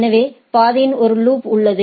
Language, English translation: Tamil, So, there is a loop into the path